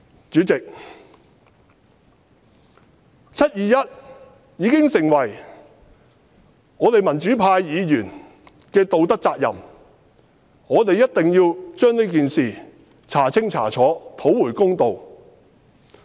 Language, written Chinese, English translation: Cantonese, 主席，"七二一"已經成為我們民主派議員的道德責任，我們一定要將這件事調查清楚，討回公道。, President the 21 July incident has become the moral responsibility of us democratic Members . We must find out the truth about this incident and do justice to the victims